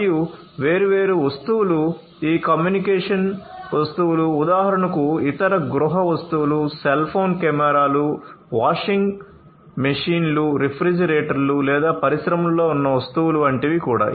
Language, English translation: Telugu, And different objects these communication objects for example or different other household objects or even the objects that are in the industries like cell phone, cameras, etcetera you know washing machines, refrigerators